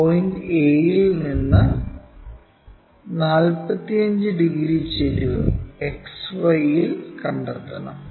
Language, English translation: Malayalam, Now, 45 degrees inclination we have to find it on XY from point a